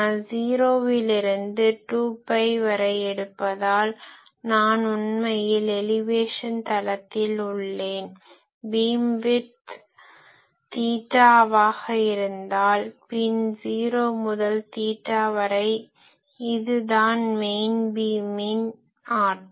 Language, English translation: Tamil, You see if I do this since I am taking from 0 to 2 pi, I am actually in elevation plane if I have a beamwidth theta b then 0 to theta b this is the power in the main beam